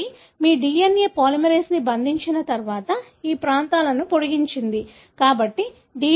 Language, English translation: Telugu, Once they bind your DNA polymerase, extend these regions